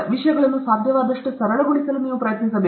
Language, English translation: Kannada, You should try to make things as simple as possible